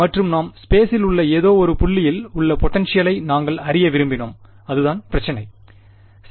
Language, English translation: Tamil, And we wanted to find out the potential at any point in space over here, that was what the problem was alright